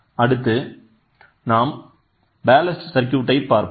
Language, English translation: Tamil, So, the next one is going to be Ballast, Ballast circuit